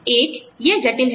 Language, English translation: Hindi, One, it is complex